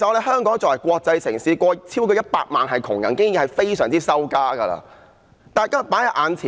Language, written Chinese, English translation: Cantonese, 香港作為國際城市，竟有超過100萬貧窮人口，這已是非常丟臉的事。, It is extremely shameful that Hong Kong as a cosmopolitan city has a poor population of over 1 million